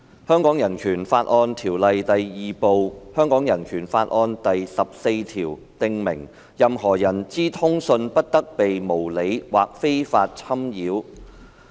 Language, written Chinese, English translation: Cantonese, 《香港人權法案條例》第 II 部第十四條訂明，任何人之通信不得被無理或非法侵擾。, Article 14 in Part II of the Hong Kong Bill of Rights Ordinance provides that no one shall be subjected to arbitrary or unlawful interference with his correspondence